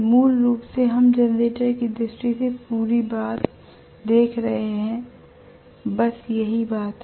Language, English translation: Hindi, Basically we are looking at the whole thing in generator point of view that is what it is okay